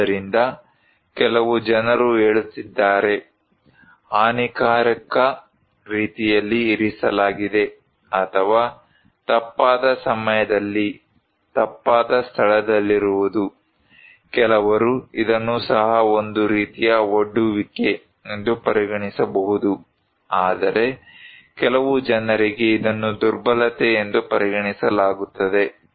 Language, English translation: Kannada, So, some people are saying that, placed in harm ways, or being in the wrong place at the wrong time, some people may consider this is also as kind of exposure but for some people this is also considered to be as vulnerability